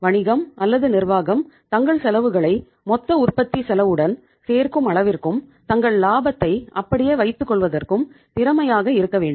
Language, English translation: Tamil, The business or the firm should be efficient efficient enough to add up their cost into the total cost of production and uh to keep their margins intact